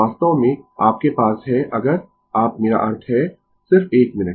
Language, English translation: Hindi, Actually, you have if you I mean, just 1 minute